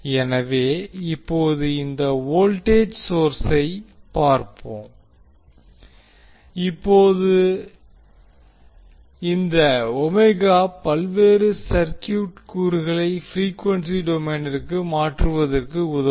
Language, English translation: Tamil, So the first task, what we have to do is that we have to convert this particular circuit into frequency domain